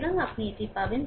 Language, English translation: Bengali, So, you will get this thing